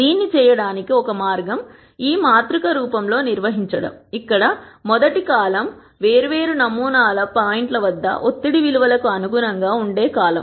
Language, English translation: Telugu, One way to do this is to organize this in this matrix form, where the rst column is the column that corresponds to the values of pressure at di erent sample points